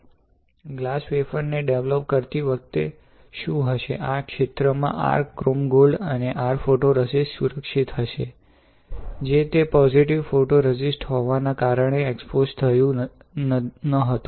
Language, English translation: Gujarati, When you develop the glass wafer; what you will have, you will have your chrome gold and your photoresist protected in the area, which was not exposed since it is a positive photoresist right